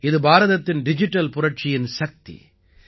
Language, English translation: Tamil, This is the power of India's digital revolution